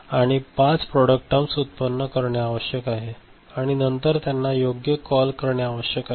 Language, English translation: Marathi, So, five product terms need to generated and then they need to be called, right